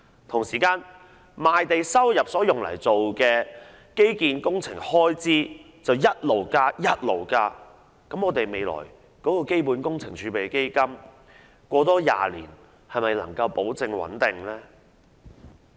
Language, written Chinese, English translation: Cantonese, 同時，把賣地收入所得用作基建工程開支的款額持續增加，我們的基本工程儲備基金在未來20年又能否保證穩定呢？, Meanwhile with the continuous growth in the amount of proceeds from land sale earmarked for infrastructure projects can we ensure that CWRF will remain stable in the next 20 years?